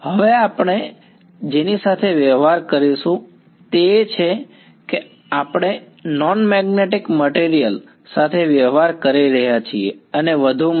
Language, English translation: Gujarati, Now what we will deal with is we are dealing with non magnetic materials and moreover